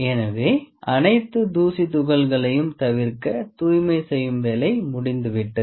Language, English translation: Tamil, So, as to avoid any dust particles the cleaning part is almost done